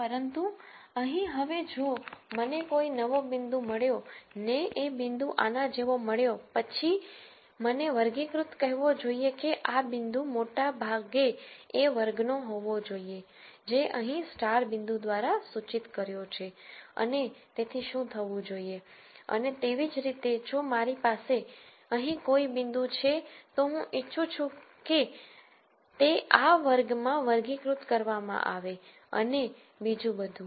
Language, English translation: Gujarati, But here now if I get a new point if I get a point like this, then I would like the classifier to say that this point most likely belongs to the class which is denoted by star points here and that is what would happen and similarly if I have a point here I would like that to be classified to this class and so on